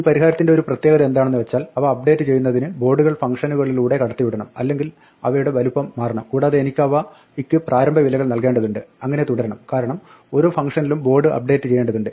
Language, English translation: Malayalam, One feature of this solution is that we had to keep passing the board through the functions in order to update them or to resize them and I had to initialize them and so on because the board had to kept updated through each function